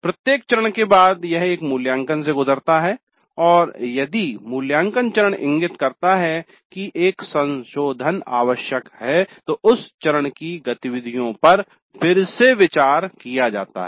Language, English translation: Hindi, After every phase it goes through an evaluate and if the evaluate phase indicates that a revision is necessary, then the activities in that phase are revisited